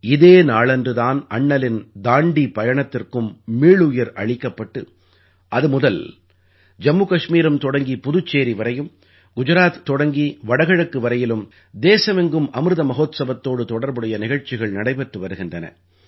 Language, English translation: Tamil, On this very day, Bapu's Dandi Yatra too was revived…since then, from JammuKashmir to Puduchery; from Gujarat to the Northeast, programmes in connection with Amrit Mahotsav are being held across the country